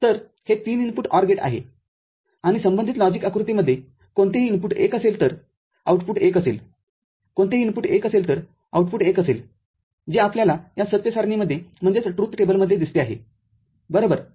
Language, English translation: Marathi, So, this is the 3 input OR gate and the corresponding logic diagram is any of the input 1 the output will be 1 any of the input will be 1 output will be 1 that is what you see in this truth table right